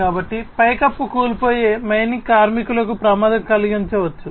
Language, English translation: Telugu, So, it might collapse and cause a hazard to the mining workers